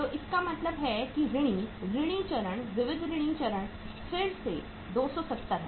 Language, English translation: Hindi, So it means sundry debtors stage, sundry debtors stage is again 270